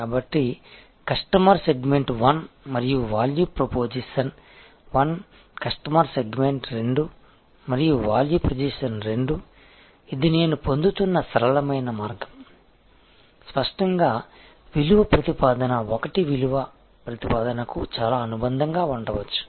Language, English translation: Telugu, So, customer segment 1 and value proposition 1, customer segment 2 and value proposition 2, this is the simplistic way I am deriving because; obviously, value proposition 1 may be quite allied to value proposition 2